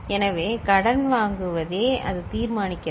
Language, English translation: Tamil, So, it is the borrow out which is deciding it